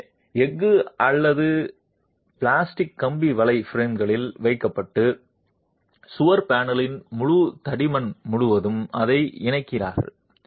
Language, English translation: Tamil, So, steel or plastic wire mesh is placed in the plaster and you connect it across the entire thickness of the wall panel